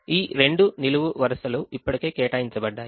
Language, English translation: Telugu, these two columns were already assigned